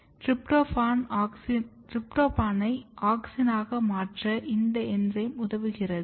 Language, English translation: Tamil, This enzyme is basically responsible for converting tryptophan into auxin